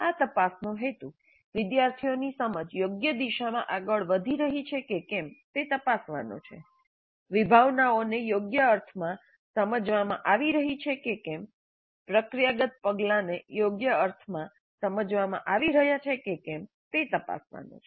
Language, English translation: Gujarati, The purpose of this probing is to check whether the understanding of the students is proceeding in the proper directions, whether the concepts are being understood in the proper sense, whether the procedural steps are being understood in the proper sense